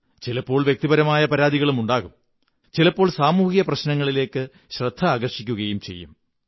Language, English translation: Malayalam, There are personal grievances and complaints and sometimes attention is drawn to community problems